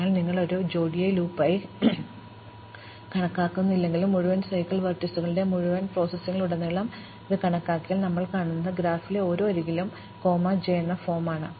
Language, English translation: Malayalam, So, if you do not count it per loop, but count it across the entire processing of the entire set of vertices, what we will see is that for every edge in the graph, of the form i comma j